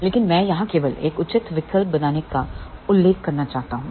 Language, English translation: Hindi, But I just want to mention here how to make a proper choice